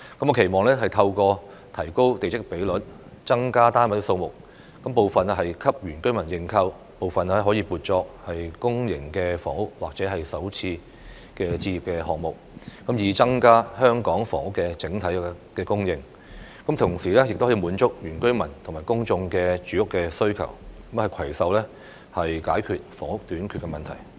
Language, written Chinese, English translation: Cantonese, 我期望透過提高地積比率，增加單位數目，部分給原居民認購，部分可以撥作公營房屋或首次置業項目，以增加香港房屋的整體供應，同時滿足原居民和公眾的住屋需求，攜手解決房屋短缺的問題。, I hope that by relaxing the plot ratio and increasing the number of flat units some of these units will be made available for purchase by indigenous villagers while some of them can be allocated to public housing or first - time home ownership schemes so as to increase the overall housing supply in Hong Kong and meet the housing needs of indigenous villagers as well as members of the public at the same time . In this way we can make concerted efforts to resolve the problem of housing shortage